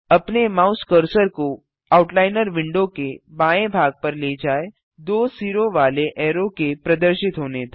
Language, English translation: Hindi, Move your mouse cursor to the left edge of the Outliner window till a double headed arrow appears